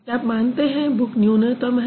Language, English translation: Hindi, Do you think book is minimal